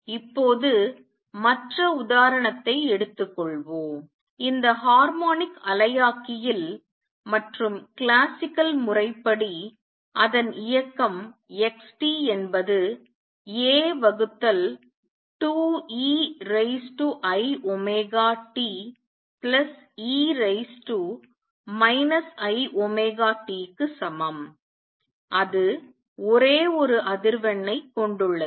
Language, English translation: Tamil, Now, let us take the other example the other example is this harmonic oscillator and classically its motion is given by x t equals a by 2 e raise to i omega t plus e raise to minus i omega t that is it has only one frequency